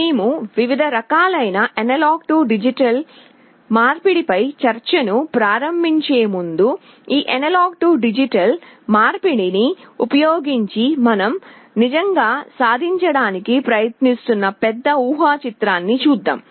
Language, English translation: Telugu, Before we start the discussion on the different types of A/D conversion, let us look at the bigger picture, what we are actually trying to achieve using this A/D conversion